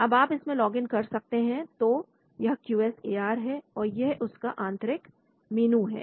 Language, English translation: Hindi, Now you can log into that so this is the QSAR, this is the internal menu